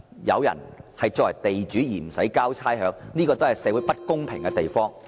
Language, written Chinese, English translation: Cantonese, 有人作為地主卻不需要繳交差餉，也是導致社會不公平的原因。, The exemption of landlords from rates payment is one of the causes of social injustice